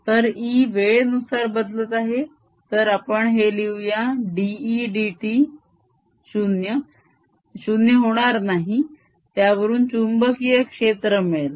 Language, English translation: Marathi, so this e which is changing with time so let's write that d, e, d, t is not equal to zero will give rise to a magnetic field